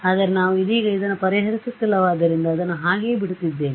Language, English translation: Kannada, But since we are not solving this right now, I am just leaving it like that right